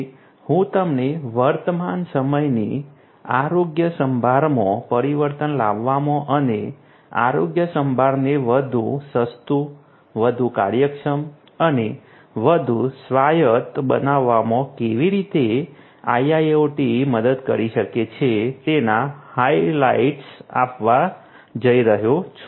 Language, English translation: Gujarati, So, I am going to give you the highlights of how IIoT can help in transforming present day health care and making healthcare much more affordable, much more efficient and much more autonomous